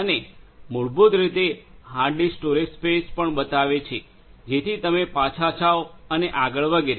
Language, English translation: Gujarati, And also this basically shows the hard disk storage space right, so you could get in go back and so on